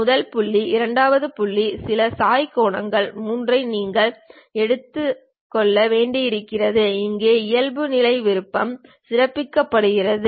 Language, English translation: Tamil, The default option here is highlighted as you have to pick first point, second point, some inclination angle 3